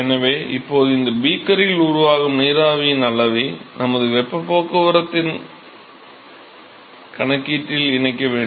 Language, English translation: Tamil, So, therefore, we will have to now incorporate the extent of vapor which is formed inside this beaker in our heat transport calculation